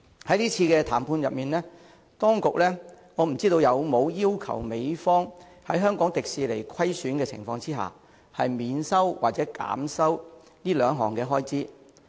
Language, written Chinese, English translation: Cantonese, 在這次談判中，當局有否要求美方在香港迪士尼出現虧損的情況下，免收或減收這兩項開支？, During this negotiation have the authorities asked the United States to waive or reduce the payment of these two fees in the event that HKDL incurs losses?